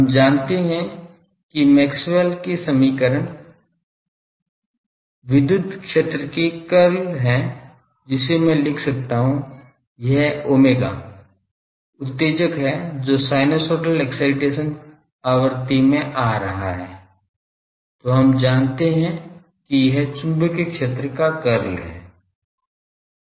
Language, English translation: Hindi, We know that Maxwell’s equation are the curl of the electric field phasor, that I can write as this omega is the excitation that is coming in the sinusoidal frequency sinusoidal excitation frequency, then we know that curl of the magnetic field this is phasor